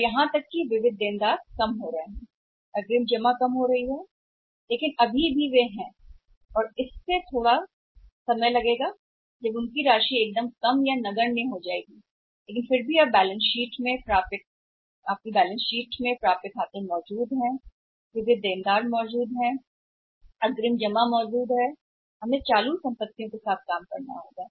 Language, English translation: Hindi, Or even sundry debtors are coming down advance deposits are also coming down but still they are there and it will take a time that when it is becoming lowest of the negligible amount but still in the balance sheets of the firms today accounts receivables exist sundry debtors exist advance deposit exist and we will have to deal with this current assets